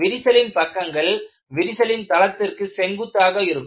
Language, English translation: Tamil, The displacement of crack faces is perpendicular to the plane of the crack